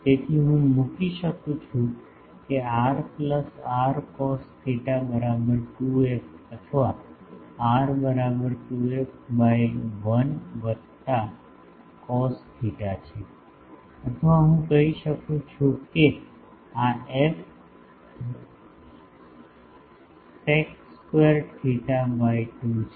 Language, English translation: Gujarati, So, I can put that r plus r cos theta is equal to 2 f or r is equal to 2 f by 1 plus cos theta or I can say this is f sec square theta by 2